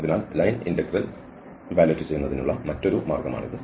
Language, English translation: Malayalam, So, that is another way of evaluating the line integral